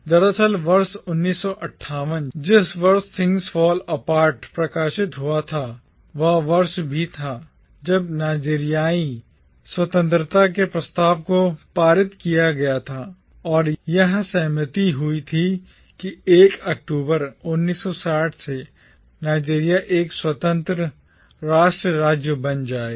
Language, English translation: Hindi, Indeed, the year 1958, the year when Things Fall Apart was published, was also the year when the motion for the Nigerian independence was passed and it was agreed that Nigeria will become an independent nation state from the 1st of October 1960